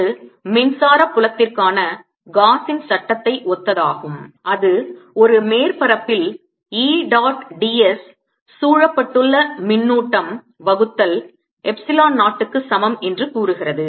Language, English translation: Tamil, this is similar to gauss's law for electric field that said that over a suface, e dot d s was equal to charge enclose, divided by epsilon zero